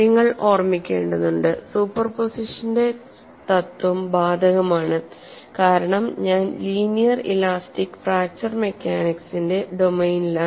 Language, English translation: Malayalam, Here principle of superposition is applicable because of linear elastic fracture mechanics